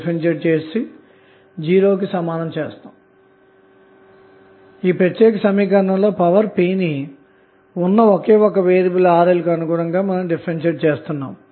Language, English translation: Telugu, So, what we have to do now, we have to differentiate the power p with respect to Rl which is the only variable in this particular equation